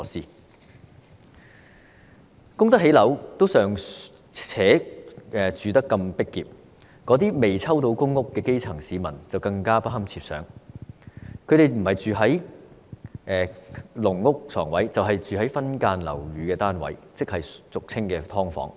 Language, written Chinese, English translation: Cantonese, 有能力供樓的，尚且居住得如此擠迫，那些尚未獲分配公屋的基層市民更不堪設想，不是居住於"籠屋"床位，便是分間樓宇單位，即俗稱"劏房"。, It simply sounds unbelievable . If those who can afford mortgage repayment have to live in such crowdedness the situation of those grass roots who have yet to be allocated public housing is even more unimaginable . They live in either bedspaces in caged homes or subdivided units